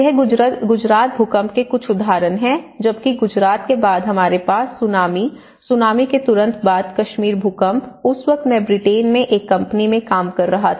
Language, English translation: Hindi, So, these are some of the examples from the Gujarat earthquake whereas in following the Gujarat we have Tsunami and immediately after Tsunami the Kashmir earthquake and in the Kashmir earthquake, I was working in a company in UK